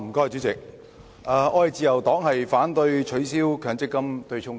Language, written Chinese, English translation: Cantonese, 主席，自由黨反對取消強制性公積金對沖機制。, President the Liberal Party opposes the abolition of the Mandatory Provident Fund MPF offsetting mechanism